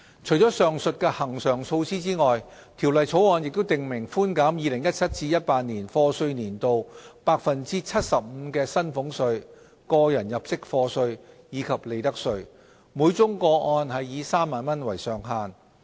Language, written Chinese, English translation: Cantonese, 除了上述恆常措施外，《條例草案》亦訂明寬減 2017-2018 課稅年度 75% 的薪俸稅、個人入息課稅，以及利得稅，每宗個案以3萬元為上限。, Apart from the above mentioned regular measures the Bill also provides for a reduction of salaries tax tax under personal assessment and profits tax for the year of assessment 2017 - 2018 by 75 % subject to a ceiling of 30,000 per case